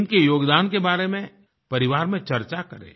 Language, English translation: Hindi, Discuss their contribution with your family